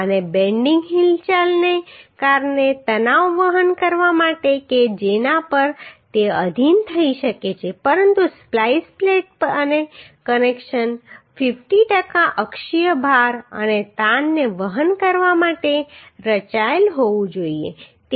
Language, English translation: Gujarati, And to carry tension due to the bending movement to which it may be subjected but the splice plate and the connection should be designed to carry 50 per cent of axial load and tension